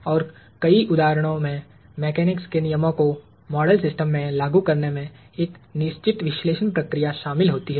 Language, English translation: Hindi, And in many instances, the application of the laws of mechanics to the model system involves a certain analysis procedure